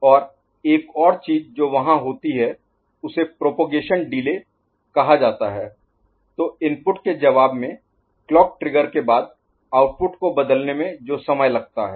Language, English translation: Hindi, And the other thing that is there is called propagation delay right; so, time taken for the output to change after clock trigger in response to the input